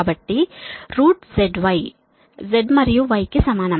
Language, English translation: Telugu, you put z and y values